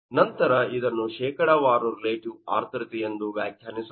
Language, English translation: Kannada, So, this is your percentage of relative humidity